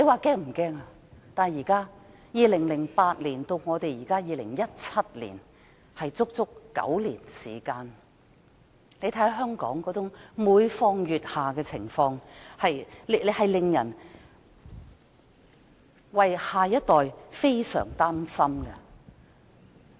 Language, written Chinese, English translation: Cantonese, 從2008年至2017年，足足9年時間，大家看到香港每況愈下的情況，為下一代感到非常擔心。, For nine whole years from 2008 to 2017 we have seen the deteriorating situation in Hong Kong . We feel very worried for the next generation